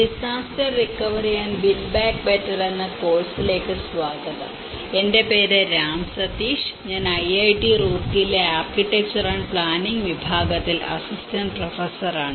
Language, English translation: Malayalam, Welcome to the course, disaster recovery and build back better, my name is Ram Sateesh, I am an Assistant Professor in Department of Architecture and Planning, IIT Roorkee